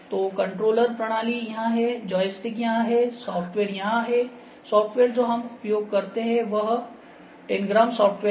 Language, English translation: Hindi, So, control system is here, joystick is here, software is here, software that we use that is Tangram software